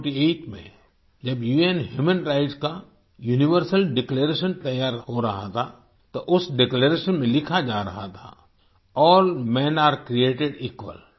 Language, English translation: Hindi, In 194748, when the Universal Declaration of UN Human Rights was being drafted, it was being inscribed in that Declaration "All Men are Created Equal"